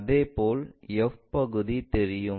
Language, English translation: Tamil, Similarly, f thing will be visible